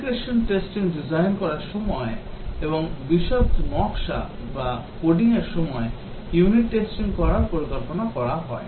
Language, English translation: Bengali, During design integration testing and during detailed design or coding the unit test is planned